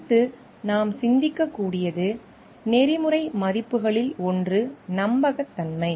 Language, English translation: Tamil, Next what we can think of is one of the ethical values are reliability